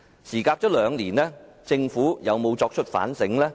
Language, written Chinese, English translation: Cantonese, 事隔兩年，政府有否作出反省？, After a lapse of two years has the Government reflected on its acts?